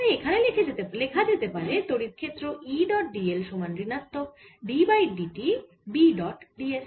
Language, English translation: Bengali, so this is given as the electric field, given as e dot d l is equal to minus d by d t of b dot d s